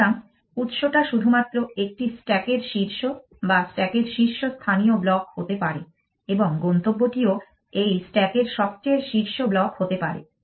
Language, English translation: Bengali, So, the source can be only the top of a stack or the top most blocks in the stack and the destination also can be only a top most block in this stack